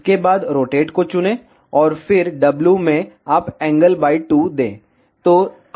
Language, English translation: Hindi, Then select rotate, and then in W you give angle by 2 ok